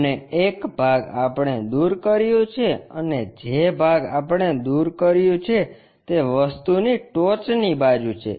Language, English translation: Gujarati, And, one part we have removed and the part what we have removed is apex side of the part